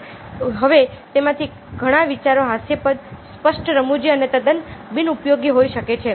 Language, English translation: Gujarati, now, many of those ideas might were ridicules, outright funny, absolutely unusable